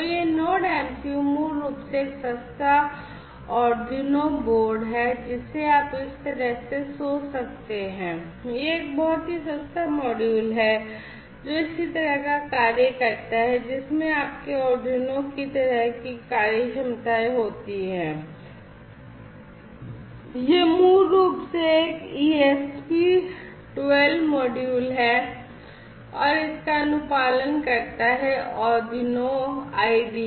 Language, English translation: Hindi, So, this Node MCU is basically a cheap Arduino board you know you can think of that way it is a very cheaper module which does similar kind of function which has similar kind of functionalities like your Arduino and it is basically an ESP 12 module which is compliant with the Arduino IDE